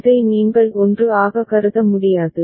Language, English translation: Tamil, You cannot treat this as a 1